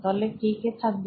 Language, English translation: Bengali, Who will be in the team